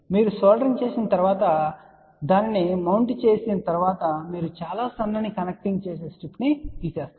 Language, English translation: Telugu, Once you have done the soldering and other thing mounted then you just remove that very thin connecting strip